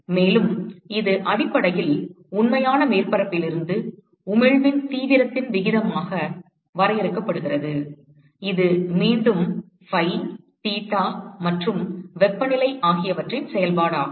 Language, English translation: Tamil, And, it is essentially defined as the ratio of the intensity of emission from the real surface which is again a function of phi, theta and temperature with the corresponding emission from blackbody